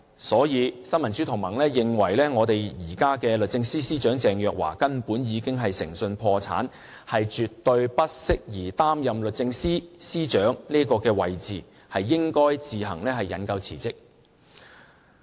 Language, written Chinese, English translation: Cantonese, 所以，新民主同盟認為現任律政司司長鄭若驊根本已經誠信破產，絕對不適宜擔任律政司司長的位置，應該自行引咎辭職。, Therefore the Neo Democrats thinks that the incumbent Secretary for Justice Ms Teresa CHENG is bankrupt of integrity and is definitely not fit for taking the position of Secretary for Justice . She should take the blame and resign